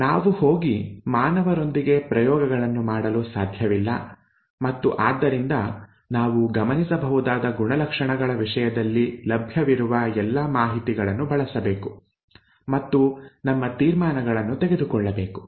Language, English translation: Kannada, We cannot go and do experiments with humans and therefore we need to use all the information that is available in terms of observable characters and draw our conclusions